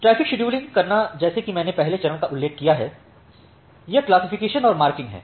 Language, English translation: Hindi, So, to do the traffic scheduling as I have mentioned the first stage is this classification and marking